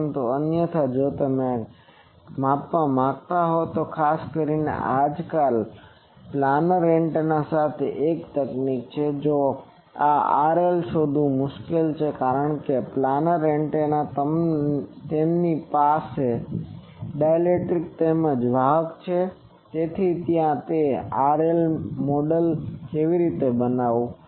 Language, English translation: Gujarati, But otherwise if you want to measure that then there is a technique particularly nowadays with planar antennas this R L finding is difficult, because planar antennas they have dielectric as well as conductor, so there how to model that R L